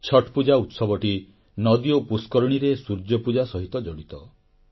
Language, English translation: Odia, Chhath festival is associated with the worship of the sun, rivers and ponds